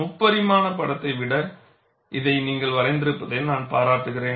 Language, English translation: Tamil, I would appreciate that you draw this rather than a three dimensional picture